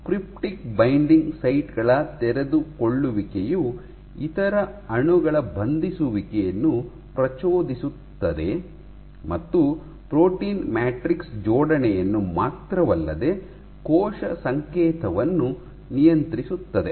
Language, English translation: Kannada, And exposure of cryptic binding sites by unfolding triggers binding of other molecules, which drives not only matrix assembly as well as regulates cell signally